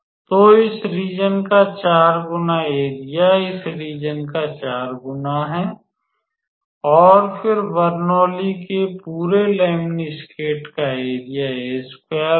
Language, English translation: Hindi, So, 4 times the area of this region is 4 times this region and then the area of the entire Lemniscate of Bernoulli will be a square